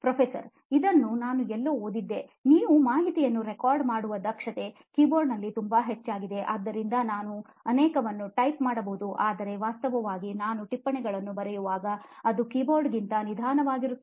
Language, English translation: Kannada, The same note I am thinking, I have read somewhere also that you are efficiency of recording information okay is extremely high in a keyboard, so I can type so many but actually when I write the notes it is probably a lot slower than an keyboard